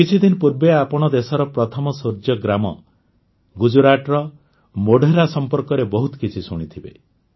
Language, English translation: Odia, A few days ago, you must have heard a lot about the country's first Solar Village Modhera of Gujarat